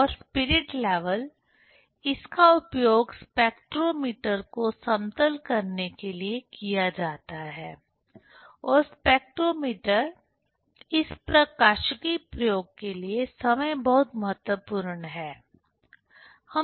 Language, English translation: Hindi, And spirit level, it is used to do leveling the spectrometer and spectrometer itself is very important for this optics experiment